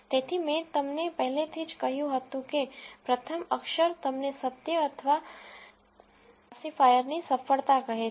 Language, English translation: Gujarati, So, I already told you that the first letter tells you the truth or the success of the classifier